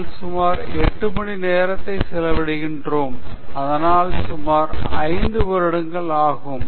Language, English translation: Tamil, We spend 8 hours, so that it takes about approximately 5 years